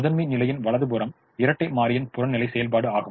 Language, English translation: Tamil, the right hand side of the primal is the objective function of the dual